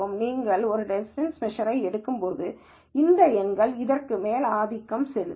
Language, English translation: Tamil, When you take a distance measure and these numbers will dominate over this